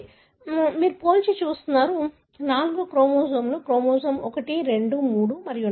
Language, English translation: Telugu, So, we are comparing, say 4 chromosomes chromosome 1, 2, 3 and 4, right